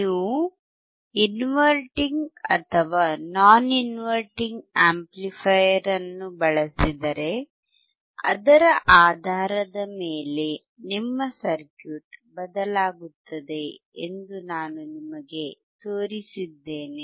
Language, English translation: Kannada, I have shown you that if you use inverting or non inverting amplifier, based on that your circuit would change